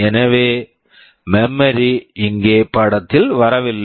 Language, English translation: Tamil, So, memory is not coming into the picture here at all